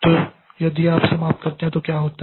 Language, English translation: Hindi, So, if we terminate a thread then what happens